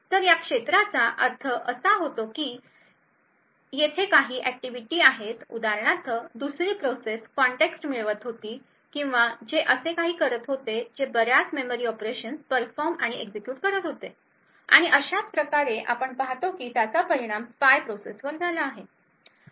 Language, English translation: Marathi, So this regions would mean that there is some activity for example another process that was getting context which or something like that which has been executing and performing a lot of memory operations and thus we see that it has affected the spy process